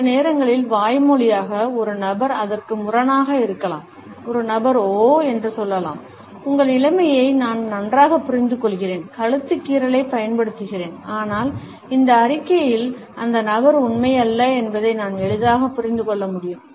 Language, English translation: Tamil, Sometimes we find that verbally a person may contradict it, a person may say oh, I understand very well your situation, using the neck scratch, but then we can easily understand that the person is not truthful in this statement